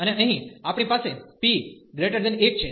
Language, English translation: Gujarati, And here we have the p greater than 1